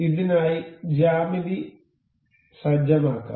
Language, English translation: Malayalam, Let me just set up the geometry for this